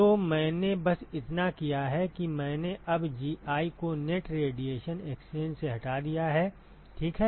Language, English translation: Hindi, So all I have done is I have now eliminated Gi from the net radiation exchange ok